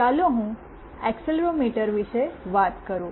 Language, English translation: Gujarati, Let me talk about accelerometer